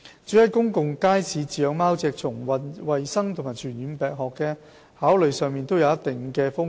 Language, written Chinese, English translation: Cantonese, 至於在公共街市飼養貓隻，從衞生及傳染病學的考慮上都有一定的風險。, As regards the keeping of cats in public markets it imposes certain risks from the perspective of both hygiene and infectious diseases